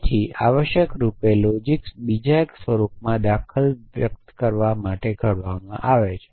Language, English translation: Gujarati, So, essentially logics are devised to express instances in 1 form of the other